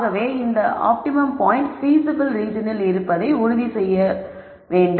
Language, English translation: Tamil, So this ensures that the optimum point is in the feasible region